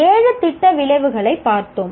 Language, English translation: Tamil, So we looked at the seven program outcomes